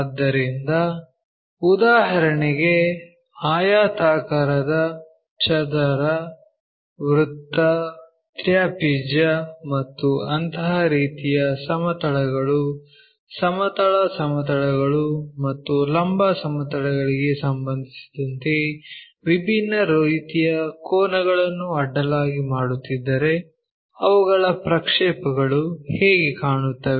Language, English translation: Kannada, So, such kind of objects for example, like rectangle, square, circle, trapezium and such kind of planes if they are making different kind of angles on horizontal with respect to the horizontal planes and vertical planes how do their projections really look like